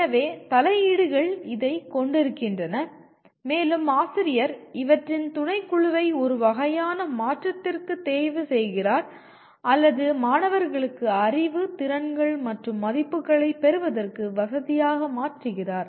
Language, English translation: Tamil, So the interventions consist of this and the teacher chooses a subset of these to kind of transfer or rather to facilitate students to acquire knowledge, skills and values